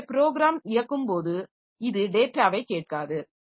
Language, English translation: Tamil, So, it does not ask for data while executing the program